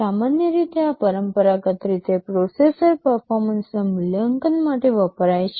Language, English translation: Gujarati, Normally, these are traditionally used for evaluating processor performances